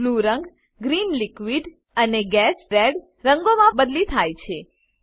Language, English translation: Gujarati, Blue color is replaced by Green and Red colors